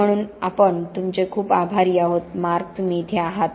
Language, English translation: Marathi, So we are very grateful to you, Mark that you are here